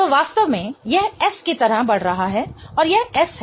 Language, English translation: Hindi, So, in fact this is moving like S and this is S